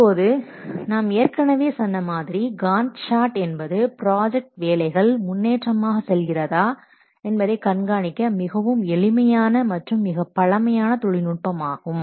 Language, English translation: Tamil, Now as we have already told you that GAN chart is one of the simplest and oldest techniques for tracking the project progress